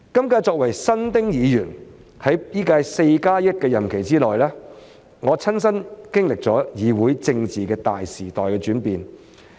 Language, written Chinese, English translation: Cantonese, 我作為新丁議員，在本屆 "4+1" 任期內，親身經歷了議會政治的大時代轉變。, Being a new Member of this Council I have personally experienced the changes of a great era in terms of parliamentary politics during my tenure of 41 years in the current term